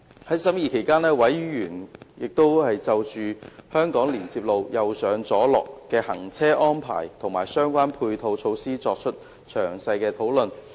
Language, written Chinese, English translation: Cantonese, 在審議期間，委員就香港連接路"右上左落"的行車安排和相關配套措施作出詳細討論。, During the Subcommittees scrutiny members discussed in detail the right - driving arrangement on HKLR and the related ancillary measures